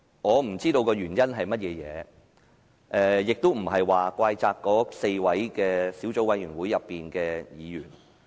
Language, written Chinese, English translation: Cantonese, 我不知道原因是甚麼，亦並非怪責那4位小組委員會的委員。, I do not know the reason for that and I am not blaming the four members of the Subcommittee